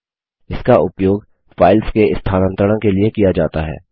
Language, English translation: Hindi, This is used for moving files